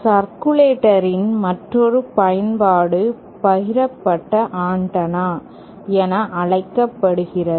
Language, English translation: Tamil, And one other use of circulator is what is known as a shared antenna